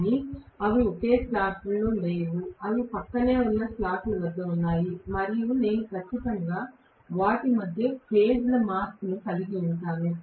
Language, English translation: Telugu, But they are not located at the same slot; they are located at adjacent slots and I am going to have definitely of phase shift between them